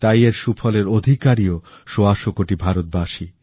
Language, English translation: Bengali, The outcome also belongs to 125 crore Indians